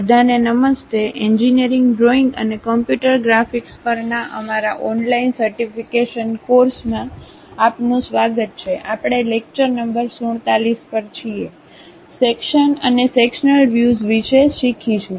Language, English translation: Gujarati, ) Hello everyone, welcome to our online certification courses on Engineering Drawing and Computer Graphics; we are at lecture number 47, learning about Sections and Sectional Views